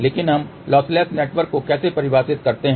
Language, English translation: Hindi, But how we define lossless network